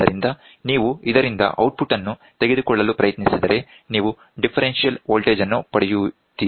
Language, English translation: Kannada, So, if you try to take an output from this you get the differential voltage